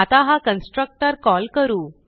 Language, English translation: Marathi, let us call this constructor